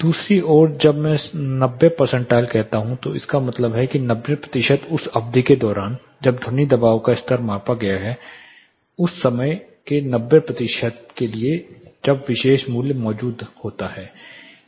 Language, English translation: Hindi, On the other hand when I say 90 percentile it means that for 90 percent of the duration during which the sound pressure levels are measured, for 90 percent of the time the particular value existed